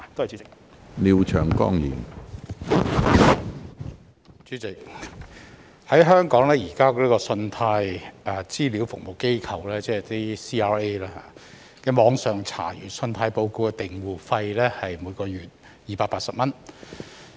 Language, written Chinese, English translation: Cantonese, 主席，香港現時信貸資料服務機構的網上查閱信貸報告訂戶費是每月280元。, President in Hong Kong CRA currently charges a monthly subscription fee of 280 for online access to credit reports